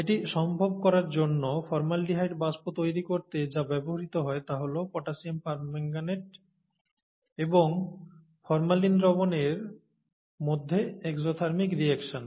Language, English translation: Bengali, And to make that possible, to generate formaldehyde vapors, what is used is the exothermic reaction between potassium permanganate, and the formalin solution